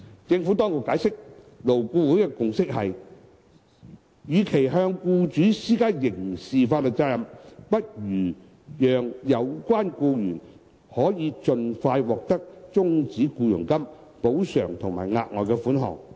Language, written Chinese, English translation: Cantonese, 政府當局解釋，勞顧會的共識是，與其向僱主施加刑事法律責任，不如讓有關僱員可盡快獲得終止僱傭金、補償及額外款項。, The Administration has explained that instead of imposing criminal liability on employers it is the consensus of LAB that the employee concerned should be paid the terminal payments compensation and further sum in an expeditious manner